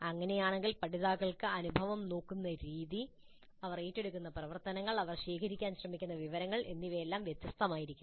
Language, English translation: Malayalam, If that is so, the way the learners look at the experience, the kind of activities they undertake, the kind of information that they try to gather, would all be different